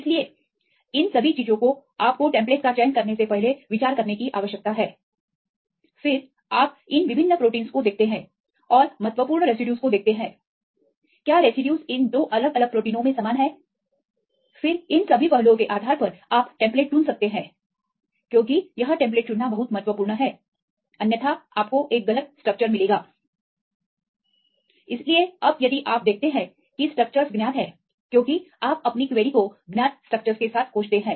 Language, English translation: Hindi, So, all these things you need to consider before you select the template, then the second one; you look into these different proteins and see the important residues, whether the residues are same in these 2 different proteins then based on all these aspects then you can choose as template because it is very important to choose the template otherwise you end up with a wrong structure